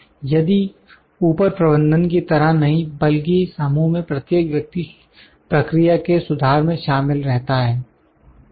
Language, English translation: Hindi, If not like the upper management but everyone in the team is involved improvement process